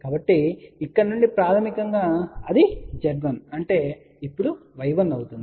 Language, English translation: Telugu, So, from here basically what it is Z 1 now becomes y 1